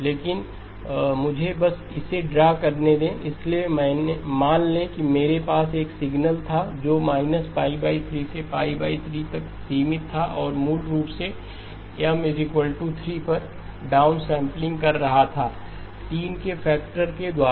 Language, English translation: Hindi, But let me just draw it, so supposing I had a signal that was band limited to minus pi over 3 to pi over 3 okay and I was basically doing M equal to3 downsampling by a factor of 3